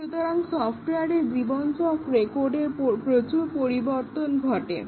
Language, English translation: Bengali, So, throughout the life cycle of software, lots of changes occur to the code